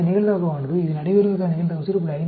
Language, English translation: Tamil, 05, it gives you a probability of 0